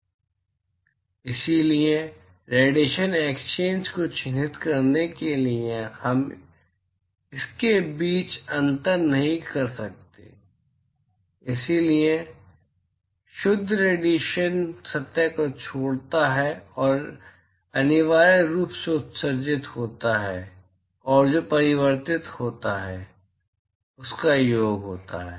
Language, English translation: Hindi, So, therefore, in order to characterize the radiation exchange we cannot distinguish between so whatever net radiation that leaves the surface is essentially sum of what is emitted plus what is reflected